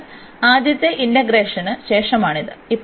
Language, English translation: Malayalam, So, this is after the first integration